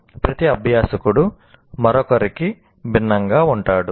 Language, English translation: Telugu, Of course the challenge is each learner is different from the other